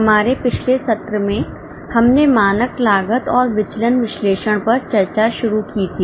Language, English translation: Hindi, In our last session we had started discussion on standard costing and variance analysis